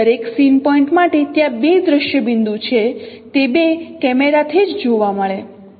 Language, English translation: Gujarati, For every scene point there are two image points if they are viewable from the two cameras itself